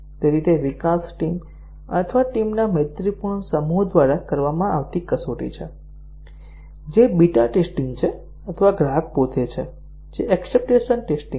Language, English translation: Gujarati, So, that is the test carried out either by the development team or a friendly set of teams, which is the beta testing or the customer himself, which is the acceptance testing